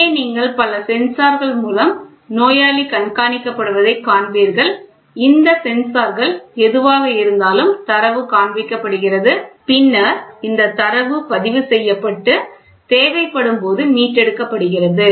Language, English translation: Tamil, So, here you will see patient is monitored through multiple sensors and these sensors whatever it is the data is getting displayed and then this data is in turn recorded and retrieved as and when it is required